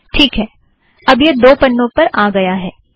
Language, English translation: Hindi, Okay this is the second page